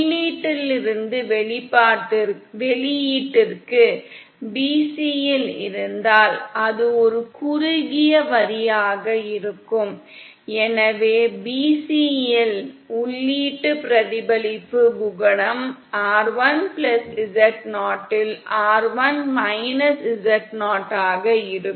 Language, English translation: Tamil, If at bc from the input to the output it will be one shorted line, so the input reflection coefficient at bc will simply be rl z0 upon rl+z0